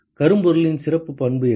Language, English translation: Tamil, What is the special property of blackbody